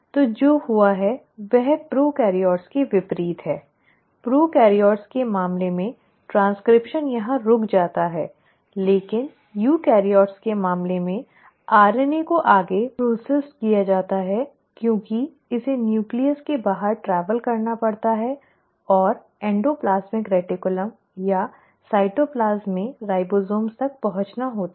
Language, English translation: Hindi, So what has happened is unlike prokaryotes; in case of prokaryotes the transcription stops here, but in case of eukaryotes the RNA is further processed because it has to travel outside the nucleus and reach to either the endoplasmic reticulum or the ribosomes in the cytoplasm